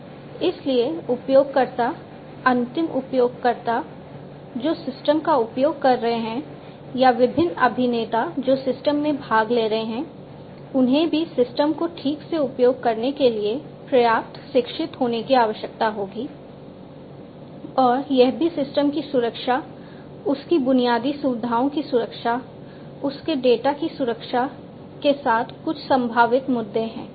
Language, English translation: Hindi, So, the users, the end users, who are using the system or are different actors taking part in the system they will also need to be educated enough to use the system properly, and that there are some potential issues with security of the system of the infrastructure of the data and so on